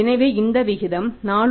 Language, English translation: Tamil, So this ratio works out as 4